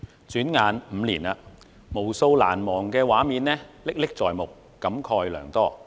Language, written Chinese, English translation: Cantonese, 轉眼5年了，無數難忘的畫面歷歷在目，使我感慨良多。, It has been five years in the blink of an eye . Countless unforgettable pictures are still fresh in my mind and fill me with emotions